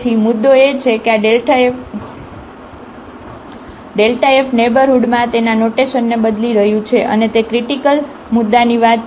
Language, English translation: Gujarati, So, the point is that this delta f is changing its sign in the neighborhood and that is exactly the case of the critical point